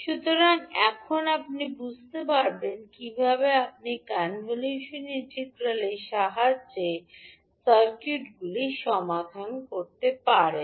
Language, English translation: Bengali, So now you can understand how you can solve the circuits with the help of convolution integral